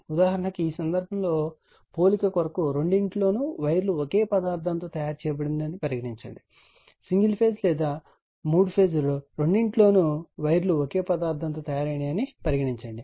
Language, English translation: Telugu, For example, suppose we will compare this cases and assume in both that the wires are in the same material in both the cases single phase or three phase, we assume that wires are of made same material right